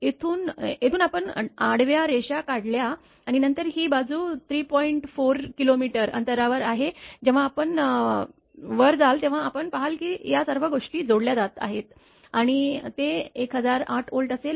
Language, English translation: Marathi, So, from here if you draw a horizontal line right and then you this side is 3 by 4 distance you take 3 by 4 l you move up then you will see all these things will be added and it will be 1008 Volt